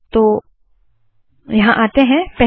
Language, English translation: Hindi, So lets come here